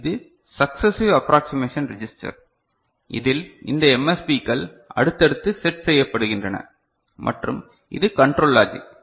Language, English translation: Tamil, So, this is the successive approximation register where these you know these MSBs are successively set and this is the control logic